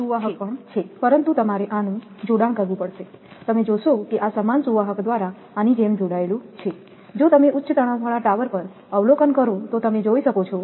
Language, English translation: Gujarati, So, this is conductor this is also conductor but you have to connect this, you will observe that this is connected like this by the same conductor, if you observe on the high tension tower you can see that